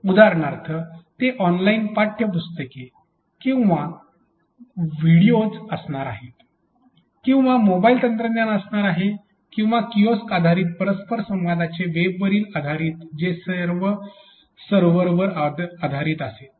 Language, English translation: Marathi, For example, whether it is going to be online textual e books or videos or it is going to be mobile technology or a kiosk based interaction it is based on web it is based on static servers all these technology decisions are taken care of